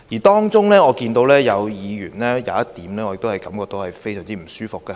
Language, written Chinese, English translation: Cantonese, 當中，有議員提出的其中一點令我感到非常不舒服。, Among the proposals put forward there is one point which makes me feel very uncomfortable